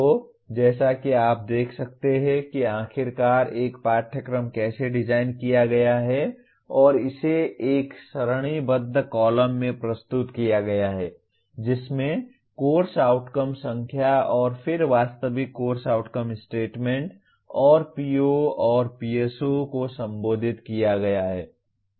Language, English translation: Hindi, So as you can see this is how a course finally is designed and it is presented in a tabular column giving the course outcomes number then actual course outcome statements and then POs and PSO is addressed